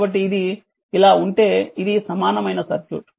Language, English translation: Telugu, So, this is the equivalent circuit right